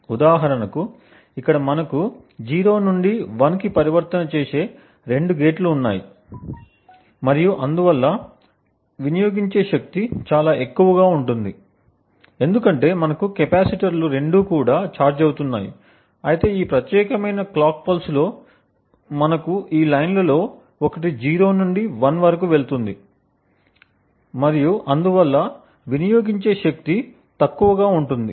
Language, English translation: Telugu, For instance over here we have two gates making the 0 to 1 transition and therefore the power consumed is quite high because we have both the capacitors getting charged, while in this particular clock pulse we have just one of these lines going from 0 to 1 and therefore the power consumed is comparatively lesser